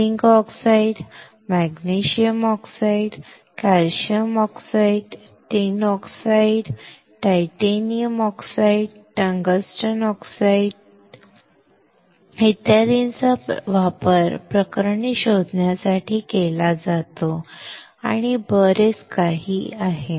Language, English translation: Marathi, Zinc oxide, magnesium oxide, calcium oxide, tin oxide, tungsten oxide, titanium dioxide, tungsten oxide, tin oxide, etcetera are used to detect cases and many more and many more, alright